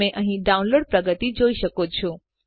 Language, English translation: Gujarati, You can see here the download progress